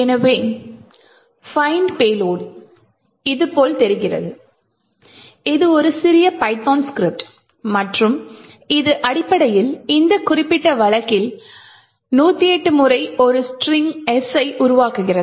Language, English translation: Tamil, So, find payload looks like this, it is a small python script and it essentially creates a string S in this particular case a hundred and eight times